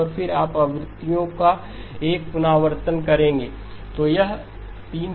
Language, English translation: Hindi, And then you would do a rescaling of the frequencies